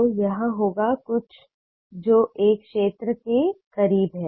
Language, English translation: Hindi, so it it will be something which is close to a sphere